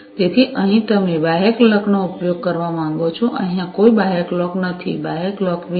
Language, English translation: Gujarati, So, here you want to use the external clock, here there is no external clock, without any external clock